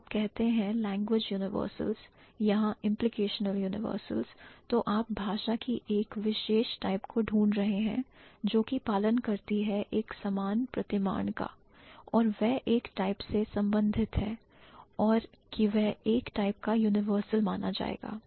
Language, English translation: Hindi, So, when you say language universals or implicational universals, you are looking for a particular type of language which follows a common pattern and they belong to one type and that would be considered as a type of universal and using the same kind of universals you can also segregate some other group of languages